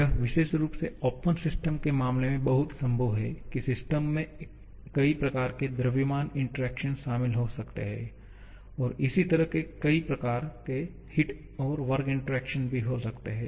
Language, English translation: Hindi, It is very much possible particularly in case of open system that the system may involve multiple type of mass interactions and similarly multiple types of heat and work interactions